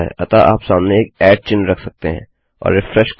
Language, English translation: Hindi, So you can put a @ symbol in front and refresh